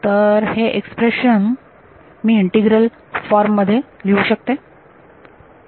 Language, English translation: Marathi, 1 right so if I can write this expression as integral from